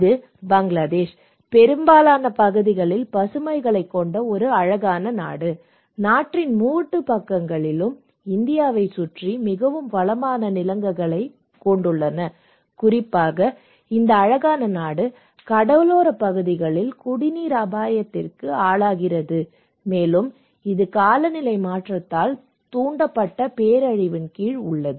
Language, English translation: Tamil, So, this is Bangladesh, a beautiful country with a lot of greens surrounded by India, most of the part, three sides are surrounded by India with one of the most fertile land and also is this is a beautiful country and but this beautiful country particularly, in the coastal areas, they are under serious threat of drinking water risk and climate change induced risk kind of disaster